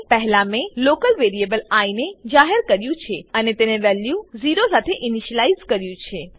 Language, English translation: Gujarati, First, I declared a local variable i and initialized it with value 0